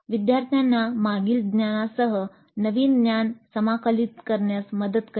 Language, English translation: Marathi, Help the learners integrate the new knowledge with the previous knowledge